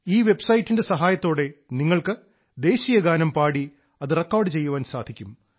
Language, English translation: Malayalam, With the help of this website, you can render the National Anthem and record it, thereby getting connected with the campaign